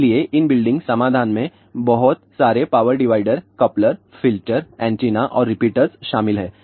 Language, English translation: Hindi, So, in building solution consist of lot of power dividers, couplers, filters, antennas and repeaters